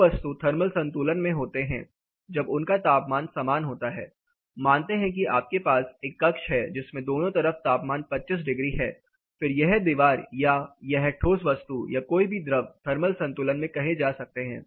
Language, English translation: Hindi, Two bodies are in thermal equilibrium when they have same temperature; that is say you have a chamber both side it is 25 degrees then this particular wall or a particular solid is set to be or any fluid is set to be in thermal equilibrium